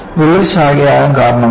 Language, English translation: Malayalam, What causes the crack to branch